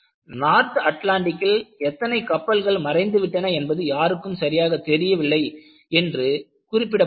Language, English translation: Tamil, And it is also mentioned that, no one know exactly how many ships just disappeared in North Atlantic